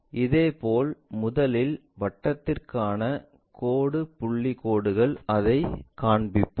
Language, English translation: Tamil, Similarly, first circle dash dot lines we will show it